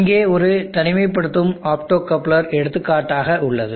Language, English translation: Tamil, Here is an example of an optocoupler isolation